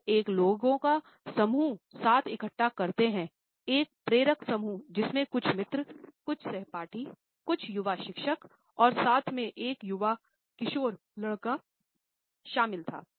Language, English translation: Hindi, He gather together a group of people, a motley group which consisted of some friends, some classmates, some young teachers, as well as a young teenager boy